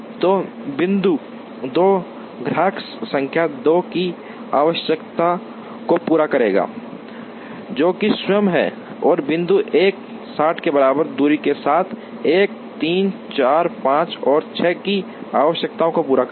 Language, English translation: Hindi, So, point 2 will meet the requirement of customer number 2, which is itself and point 1 will meet the requirements of 1 3 4 5 and 6 with distance traveled equal to 60